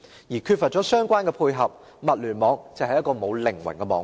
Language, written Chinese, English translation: Cantonese, 而缺乏相關配合，物聯網只是一個沒有靈魂的網絡。, Lacking the relevant complements the Internet of things is merely a network without a soul